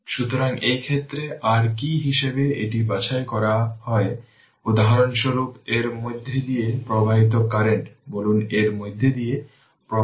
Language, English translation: Bengali, So, in this case in this case your what as it is sorted suppose for example, current ah flowing through this say current flowing through this say it is your i right